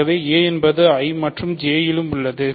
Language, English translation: Tamil, So, a is in I as well as in J